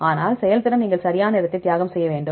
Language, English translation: Tamil, But performance you need to sacrifice in terms of time right